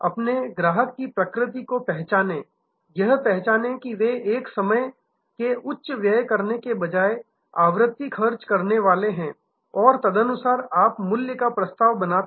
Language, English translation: Hindi, Recognize the nature of your customer, recognize that they are frequency spenders rather than one time large spender and accordingly create your value proposition